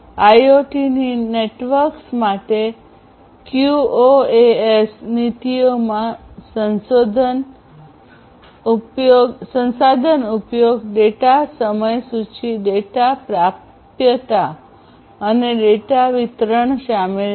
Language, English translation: Gujarati, QoS policies for IoT networks includes resource utilization, data timeliness, data availability, and data delivery